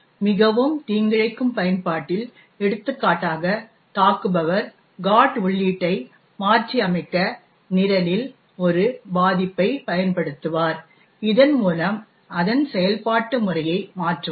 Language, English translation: Tamil, In a more malicious application, for example an attacker would use a vulnerabilty in the program to modify the GOT entry and thereby change its execution pattern